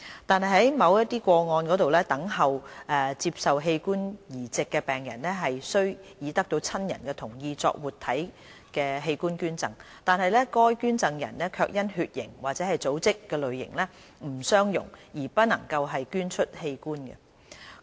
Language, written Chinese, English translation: Cantonese, 但在某些個案中，等候接受器官移植的病人雖已得到親人同意作活體器官捐贈，但該捐贈人卻因血型或組織類型不相容而不能捐出器官。, There are however cases where patients needing organ transplants have living related donors who are willing but unable to donate because of incompatible blood type or tissue type